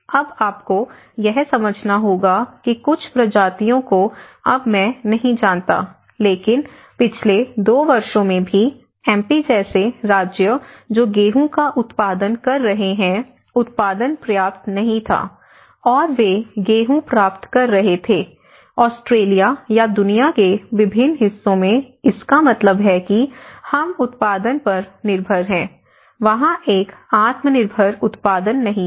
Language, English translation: Hindi, So, now you have to understand that certain species now I do not know how many of you know but in the last 2 years even a state like MP which is producing the wheat, the production was not sufficient, and they were getting the wheat from Australia or in different parts of the world so which means, we are depending on the production, there is not a self sustained production